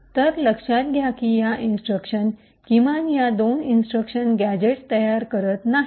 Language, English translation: Marathi, So, note that these instructions atleast these two instructions do not form a gadget